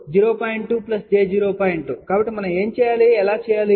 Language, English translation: Telugu, 2, so how do we do